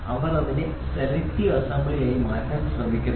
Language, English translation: Malayalam, So, they try to make it as selective assembly